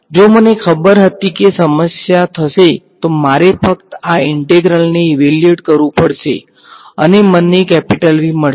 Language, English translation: Gujarati, If I knew it the problem would be done then I just have to evaluate this integral and I will get V